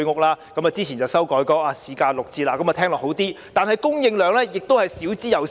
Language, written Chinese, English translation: Cantonese, 當局之前把居屋的售價修改為市價六折，聽起來是好事，但供應量少之又少。, Earlier on the authorities set the HOS prices at 60 % of the market price . This sounds good but the supply is very limited